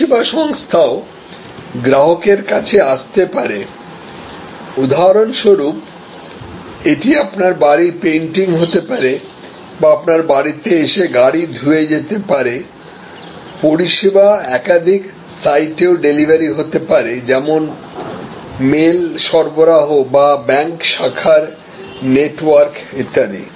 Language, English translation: Bengali, Service organization can come to the customer for example, it could be painting of your house or car wash at your doorstep, it could be multiple site delivery from the service too many customers like the mail delivery or the bank branch network and so on